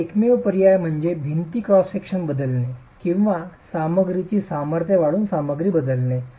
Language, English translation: Marathi, Your only options are change the wall cross section or change the material by increasing the strength of the material